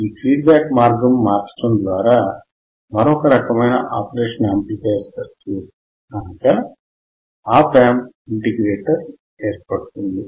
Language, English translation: Telugu, Path producing another type of operational amplifier circuit called Op Amp integrator